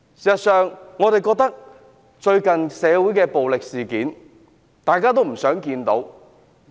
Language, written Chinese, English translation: Cantonese, 事實上，最近社會不斷發生暴力事件，大家也不想看到。, As a matter of fact violent incidents have still happened in society recently a phenomenon which nobody wishes to see